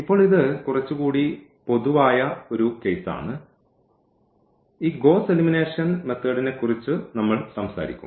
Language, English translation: Malayalam, Now, this is a little more general case which we will be talking about this Gauss elimination method